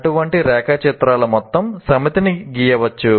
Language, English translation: Telugu, One can draw a whole set of this kind of diagrams